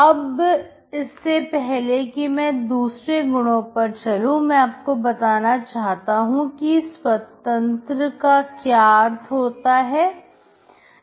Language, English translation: Hindi, So before I proceed to give you some other properties, I define what is called independence